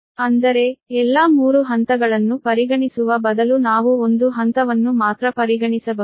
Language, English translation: Kannada, instead of considering all the three phases, we can consider only one phase